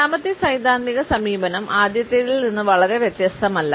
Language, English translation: Malayalam, The second theoretical approach is in a way not very different from the first one